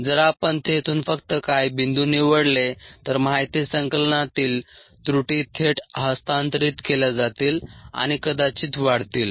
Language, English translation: Marathi, if we just pic points from there, the errors in the data collection would directly get transferred and ah probably get magnified